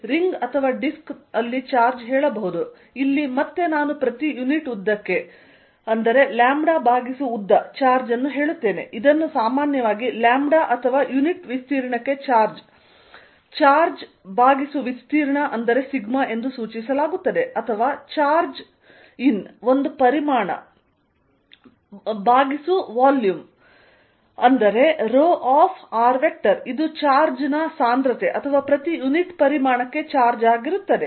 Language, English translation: Kannada, There could also be charge say on a ring or on a disk, here again I will say charge per unit length (=λ/length) which is usually denoted by lambda or charge per unit area (Charge/area = σ) or charge in a volume (Charge/volume =ρ), which will be charge density charge per unit volume